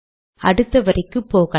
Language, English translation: Tamil, Go to the next line